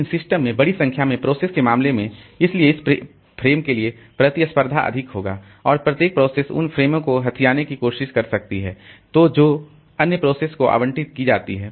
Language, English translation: Hindi, But in case of large number of processes in the system, so fighting for these frames will be more and each process may try to grab frames which are allocated to other processes